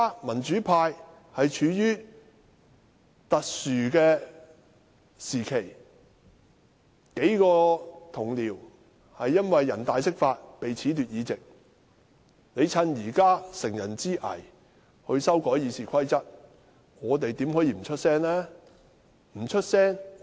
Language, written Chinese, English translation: Cantonese, 民主派現正處於特殊時期，幾位同事因為人大釋法而被褫奪議席，建制派乘人之危修訂《議事規則》，我們豈可不發聲？, The pro - democracy camp is now at a critical stage with a number of Honourable colleagues being stripped of their seats after the interpretation of the Basic Law by the National Peoples Congress . How can we not speak up when the pro - establishment camp take this advantage to amend RoP?